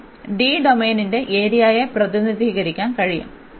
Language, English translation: Malayalam, It can also represent the area of the domain d